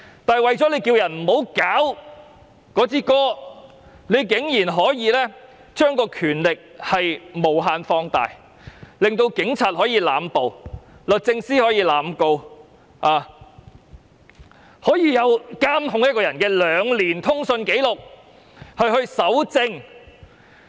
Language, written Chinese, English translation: Cantonese, 可是，政府為免有人搞國歌，居然把權力無限放大，令警察可以濫捕，律政司可以濫告，甚至可以監控一個人兩年的通訊紀錄以作搜證。, However in order to prevent someone from making trouble with the national anthem the Government has indefinitely expanded the relevant powers so that the Police can arrest indiscriminately the Department of Justice can institute prosecutions indiscriminately and even collect a persons two - year communication record as evidence